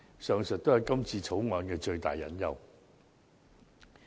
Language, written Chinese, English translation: Cantonese, 上述都是《條例草案》的最大隱憂。, These are the biggest hidden worries concerning the Bill